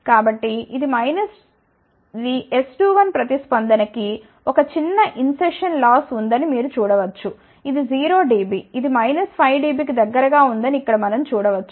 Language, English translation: Telugu, So, this is the response for S 2 1, you can see that there is a small insertion loss, we can see here this is 0 dB this is about minus 5 dB